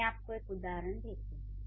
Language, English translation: Hindi, I'll give you a few examples